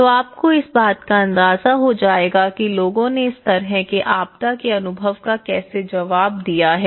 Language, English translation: Hindi, So, you will get an idea of how people have responded to these kind of post disaster experiences